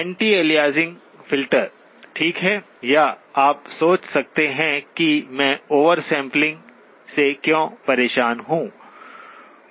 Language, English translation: Hindi, Anti aliasing filter, okay, that, or you may think why do I bother with oversampling